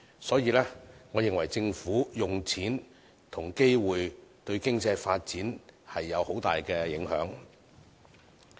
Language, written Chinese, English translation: Cantonese, 所以，我認為政府怎樣利用金錢和機會，對經濟發展會有很大影響。, I thus think that how the Government makes use of the money and opportunities will have a great impact on our economic development